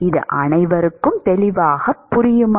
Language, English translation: Tamil, That is clear to everyone